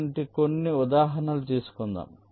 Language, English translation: Telugu, lets take some examples like this